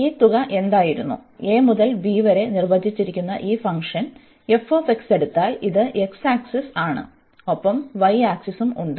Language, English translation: Malayalam, So, what was this sum, if we just take this function f x which is defined from a to b, this is x axis and we have your y axis